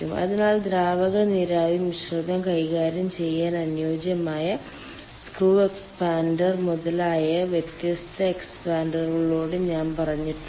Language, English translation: Malayalam, so different expanders i have told particularly screw expanded etcetera they are suitable of handling ah liquid vapor mixture